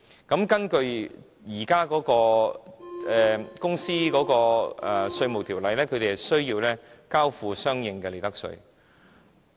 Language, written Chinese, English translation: Cantonese, 根據現行的《稅務條例》，他們需要交付相應的利得稅。, According to the existing Inland Revenue Ordinance they are chargeable to Hong Kong profits tax